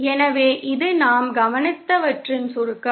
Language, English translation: Tamil, So, this is the summary of what we observed